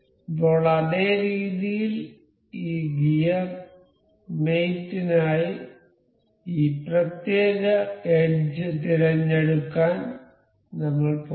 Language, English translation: Malayalam, Now, in the same way I will go select this particular edge for this gear mate